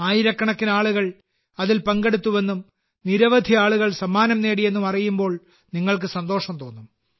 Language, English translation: Malayalam, You wouldbe pleased to know that thousands of people participated in it and many people also won prizes